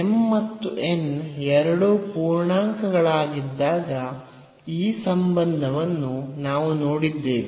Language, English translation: Kannada, So, this is the formula when m and n both are integers